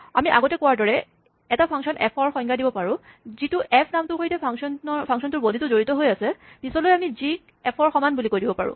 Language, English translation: Assamese, So, we can define a function f, which as we said, associates with the name f, the body of this function; at a later stage, we can say g equal to f